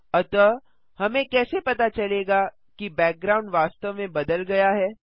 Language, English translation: Hindi, So how do we know that the background has actually changed